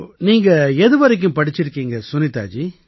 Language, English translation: Tamil, What has your education been Sunita ji